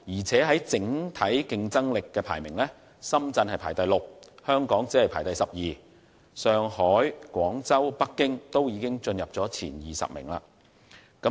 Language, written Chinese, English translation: Cantonese, 至於整體競爭力方面，深圳排名第六位，而香港則只位列第十二，反而上海、廣州和北京均已進入前20名。, As for the general competitiveness Shenzhen ranked sixth and Hong Kong only ranked 12 whereas Shanghai Guangzhou and Beijing have all reached the top 20